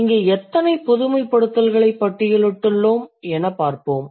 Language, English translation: Tamil, So, we have listed how many generalizations